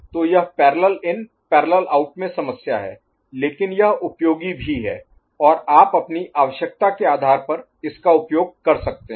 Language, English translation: Hindi, So, this is the issue with parallel in parallel out ok, but it is also useful and you can make use of it depending on your requirement